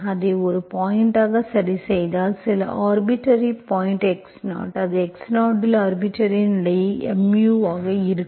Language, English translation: Tamil, If you fix it as some point, some arbitrary point x0, that will be arbitrary constant mu at x0